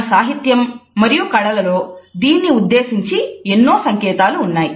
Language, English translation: Telugu, In literature and in arts there have been in numerous references to it